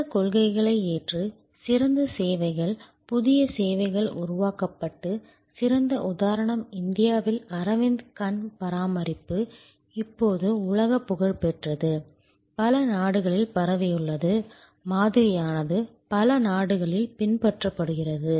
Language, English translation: Tamil, Adopting these principles, great services new services have been created and excellent example is Aravind Eye Care in India, world famous now, spread to many countries, the model has been replicated, an emulated number of countries